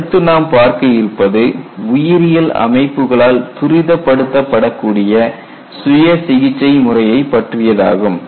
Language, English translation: Tamil, And the next concept is self healing; it is all precipitated by biological systems